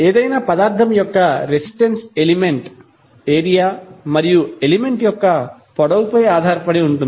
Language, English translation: Telugu, Resistance of any material is having dependence on the area as well as length of the element